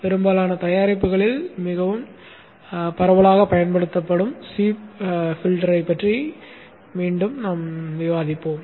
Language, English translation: Tamil, Here again we shall discuss the C filter which is the one which is most widely used in most of the products